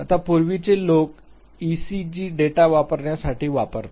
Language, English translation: Marathi, Now, earlier people use to use the EEG data